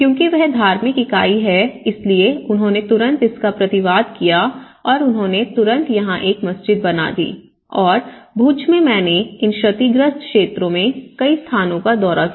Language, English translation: Hindi, Because that is the religious entity where they feel so that is how they immediately retrofitted this and they immediately made a mosque here and in Bhuj, I visited to many places of these damaged areas